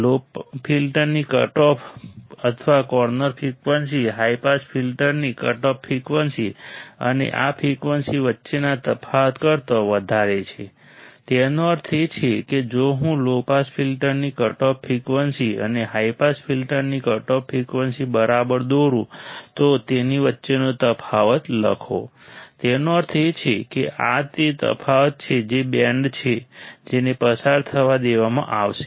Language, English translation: Gujarati, The cutoff or corner frequency of low filter is higher than the cutoff frequency of high pass filter and the difference between this frequency; that means, if I draw right the cutoff frequency of the low pass filter and the cutoff frequency of high pass filter write the difference between it; that means, this is the difference that is the band which will be allowed to pass